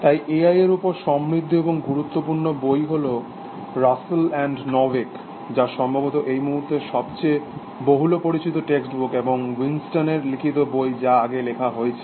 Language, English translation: Bengali, So, rich and knight book on A I, Russell and Norvig, which is probably the most, well known text book at this point of time, and a book by Winston which was written earlier